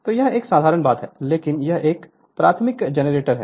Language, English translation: Hindi, So, this is a simple thing so, this is elementary generator